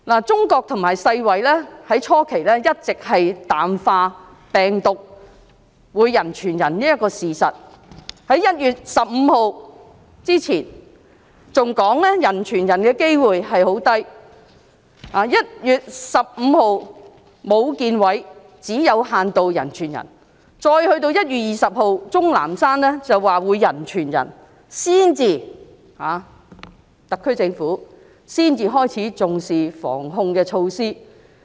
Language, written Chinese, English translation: Cantonese, 中國和世界衞生組織初期一直淡化病毒會人傳人的事實，在1月15日之前，還表示病毒人傳人的機會十分低 ；1 月15日，武漢市衞生健康委員會指病毒會有限度人傳人；再到1月20日，鍾南山說病毒會人傳人，特區政府才開始重視防控措施。, Initially China and the World Health Organization WHO had been playing down the fact that the virus could be transmitted from person to person . Before 15 January they still said that the possibility of human - to - human virus transmission was very low; on 15 January Wuhan Municipal Health Commission mentioned limited human - to - human transmission of the virus; on 20 January ZHONG Nanshan said that the virus could be transmitted from person to person . Only at that time did the SAR Government start to attach importance to anti - epidemic measures